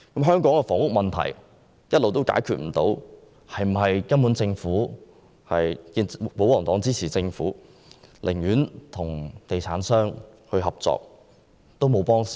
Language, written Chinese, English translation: Cantonese, 香港的房屋問題一直未能解決，是否因為保皇黨支持政府，寧願與地產商合作也不幫助市民？, Given that Hong Kongs housing problem remained unresolved all these years is it due to the fact that the royalists support the Government in cooperating with property developers but not providing assistance to the public?